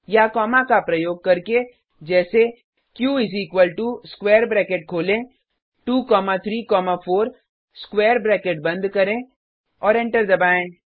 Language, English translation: Hindi, or using commas as q is equal to open square bracket two comma three comma four close the square bracket and press enter